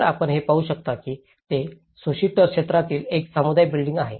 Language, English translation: Marathi, So, what you can see is a community building in Soritor area